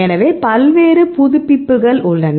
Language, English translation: Tamil, So, there are various databases